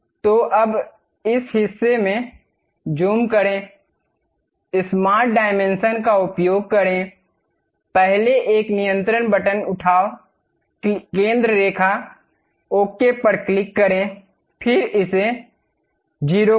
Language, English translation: Hindi, So, now, zoom in this portion, use smart dimension; pick the first one control button, center line, click ok, then make it 0